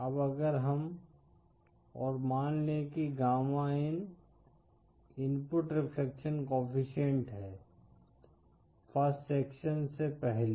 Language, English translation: Hindi, Now if we… And suppose say gamma in is the input reflection coefficient before the first section